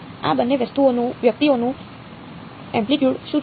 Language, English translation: Gujarati, What is the amplitude of both of these guys